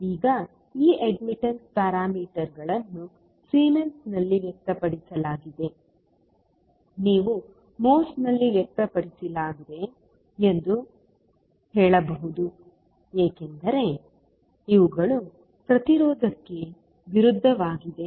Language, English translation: Kannada, Now, these admittance parameters are expressed in Siemens, you can also say expressed in moles because these are opposite to impedance